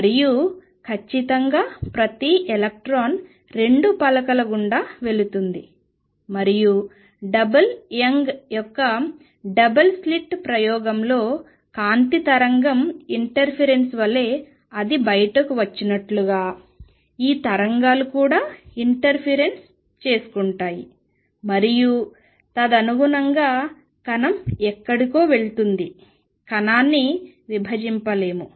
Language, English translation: Telugu, More precisely the wave associated each electron goes through both the plates and when it comes out just like light wave interference in the double Young's double slit experiment, these waves also interfere and then accordingly particle go somewhere, particle cannot be divided